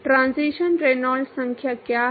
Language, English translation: Hindi, What is the transition Reynolds number